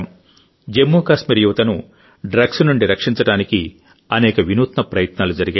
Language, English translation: Telugu, To save the youth of Jammu and Kashmir from drugs, many innovative efforts have been visible